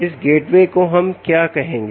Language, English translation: Hindi, ok, what we will call this gateway